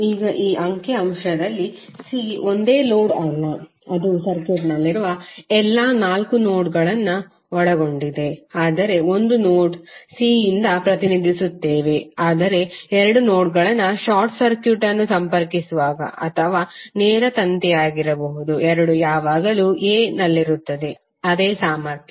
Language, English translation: Kannada, Now in this figure c is not a single load it contains all four nodes which are there in the circuit, but we represented by a single node c while connect two nodes whit a short circuit or may be the direct wire both will always be at a same potential